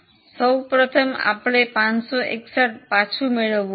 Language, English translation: Gujarati, First of all, we want to recover 561